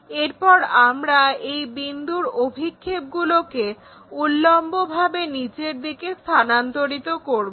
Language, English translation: Bengali, Once we have that transfer this point projections vertically down